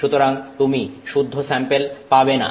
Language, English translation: Bengali, So, you are not going to have clean sample